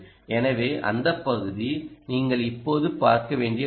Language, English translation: Tamil, so that part is something you will have to look up just now